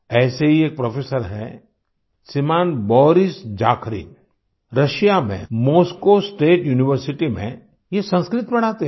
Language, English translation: Hindi, Another such professor is Shriman Boris Zakharin, who teaches Sanskrit at Moscow State University in Russia